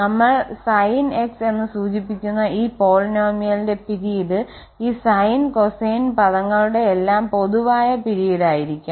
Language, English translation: Malayalam, And the period of this polynomial which we are denoting as Sn x will be the common period again of all these sine and cosine